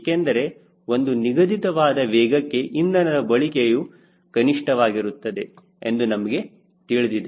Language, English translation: Kannada, because we know that there is a particular speed at which fuel consumption is minimum